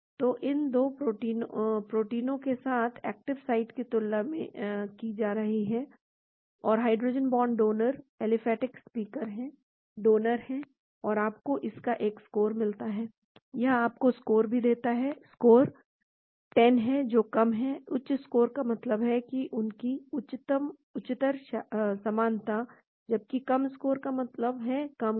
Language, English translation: Hindi, So, these 2 protein active sites are being compared and hydrogen bond donors, aliphatic, acceptors is there, donor is there and you get a score of about; it gives you score as well, score of 10